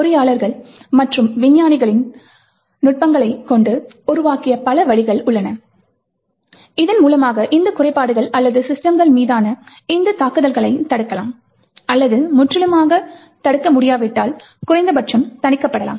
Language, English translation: Tamil, So there are many ways by which engineers and scientists have developed techniques by which these flaws or these attacks on systems can be actually prevented or if not completely prevented at least mitigated